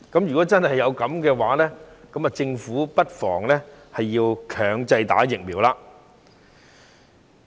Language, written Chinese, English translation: Cantonese, 如果真的是這樣，政府不妨推行強制注射疫苗。, If this is really so the Government may just as well launch a mandatory vaccination programme